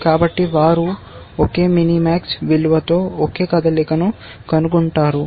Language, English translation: Telugu, So, they find the same move with the same mini max value